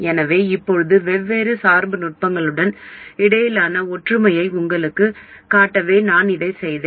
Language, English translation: Tamil, So now I did this also to show you the similarities between different biasing techniques